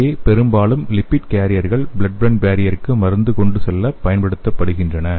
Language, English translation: Tamil, So here mostly the lipid carriers have been used for the transporting the drug to the blood brain barrier